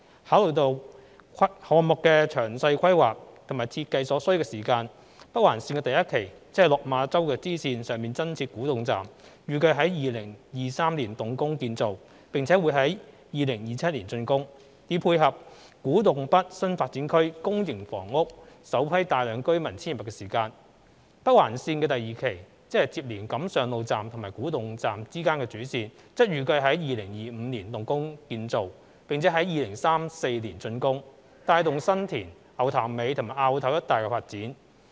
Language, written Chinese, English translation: Cantonese, 考慮到項目的詳細規劃及設計所需的時間，北環綫第一期，即落馬洲支線上增設古洞站，預計於2023年動工建造，並在2027年竣工，以配合古洞北新發展區公營房屋首批大量居民遷入的時間。北環綫第二期，即連接錦上路站及古洞站之間的主線，則預計於2025年動工建造，並在2034年竣工，帶動新田、牛潭尾及凹頭一帶的發展。, Considering the time required for the detailed planning and design of the project the construction of NOL Phase 1 is expected to commence in 2023 for completion in 2027 to support the first substantial population intake of the public housing in the Kwu Tung North New Development Area while the construction of NOL Phase 2 is expected to commence in 2025 for completion in 2034 to provide impetus for growth in the area covering San Tin Ngau Tam Mei and Au Tau